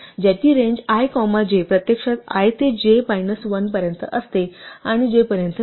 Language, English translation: Marathi, In general, if we write range i comma j, we get the sequence i, i plus 1 up to j minus 1